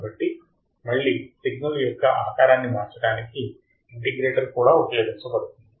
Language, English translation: Telugu, So, again the integrator is also used to change the signal or change the shape of the signal